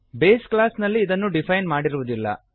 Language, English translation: Kannada, It is not defined in the base class